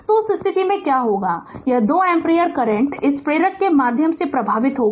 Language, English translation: Hindi, So, what will happen in that case this 2 ampere current will flow through this inductor